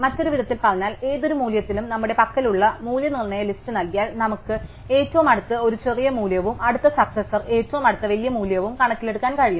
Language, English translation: Malayalam, In other words, given the list of value set we have for any value can we quickly compute what is the previous in terms of the nearest a smaller value and then next successor what is the nearest bigger value